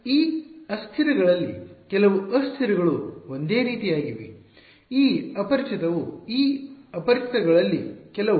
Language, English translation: Kannada, Now of these variables some variables are the same right these unknowns some of these unknown